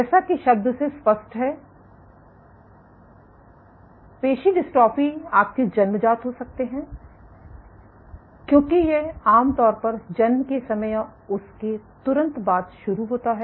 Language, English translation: Hindi, You have congenital muscular dystrophy as the term suggests it starts at birth or shortly afterwards